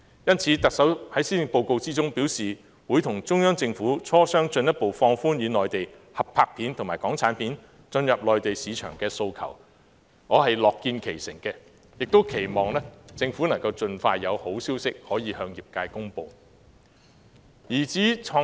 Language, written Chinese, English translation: Cantonese, 因此，特首在施政報告中表示會與中央政府磋商，提出進一步放寬與內地合拍片及港產片進入內地市場的訴求，我樂見其成，也期望政府能盡快有好消息向業界公布。, The Chief Executive stated in the Policy Address that discussions would be made with relevant the Central Government in order to facilitate Mainland - Hong Kong co - productions and entry of Hong Kong productions into the Mainland market . I would be delighted to see progress on this front and look forward to hearing some good news for the industry